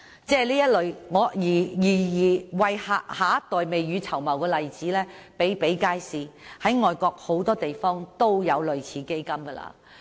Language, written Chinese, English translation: Cantonese, 這類為下一代未雨綢繆的例子比比皆是，外國很多地方也有類似基金。, There are a whole host of ubiquitous examples of saving money for a rainy day for the next generation; many places overseas have similar funds